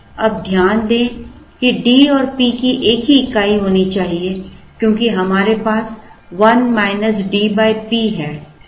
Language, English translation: Hindi, Now, note that D and P should have the same unit, because we have a 1 minus D by P coming in